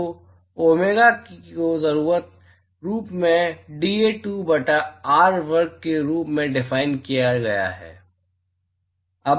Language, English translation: Hindi, So, domega is essentially defined as dA2 by r square